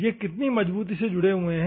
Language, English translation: Hindi, How firmly is it bonded